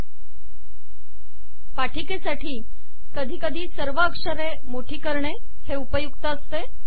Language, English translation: Marathi, For presentations sometimes it is useful to make all the lettering bold